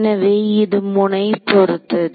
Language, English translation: Tamil, That is the result of the node